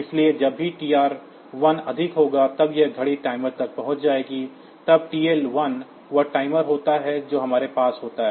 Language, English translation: Hindi, So, whenever TR1 is high, then this clock will be reaching the timer then TL1 is the timer that we have